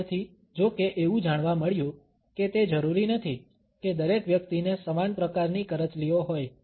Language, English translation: Gujarati, Later on, however, it was found that it is not necessary that everybody has the similar type of wrinkles